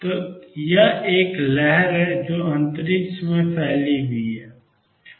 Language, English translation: Hindi, So, this is a wave which is spread over space